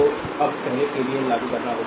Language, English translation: Hindi, So now, you have to first apply the KVL